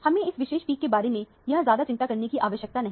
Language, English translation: Hindi, We do not have to worry so much about this particular peak here